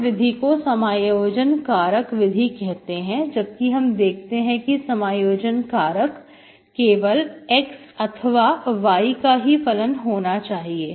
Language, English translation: Hindi, This is a method called integrating factor method, so when, so we have seen, we have seen integrating factors that are only functions of x or y, okay